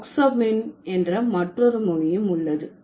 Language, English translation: Tamil, And then there is another language, oxapmin